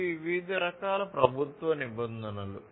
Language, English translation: Telugu, So, these are the different types of government regulations